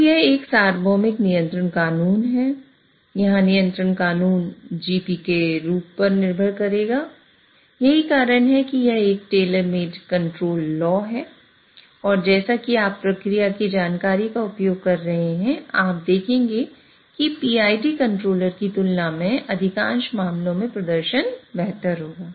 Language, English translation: Hindi, That's why it's a tailor made control law and as you are using process information, you will see that the performance will be much better in most of the cases than a BID controller